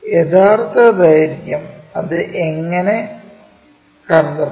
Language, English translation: Malayalam, And true lengths, where we will find